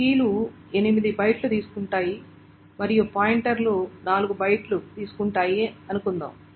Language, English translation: Telugu, Let us say the keys take 8 bytes and pointers as suppose it takes 4 bytes